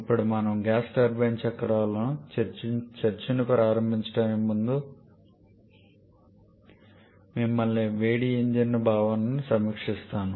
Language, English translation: Telugu, Now before we start the discussion on gas turbine cycles, I would like to take you back to the concept of heat engines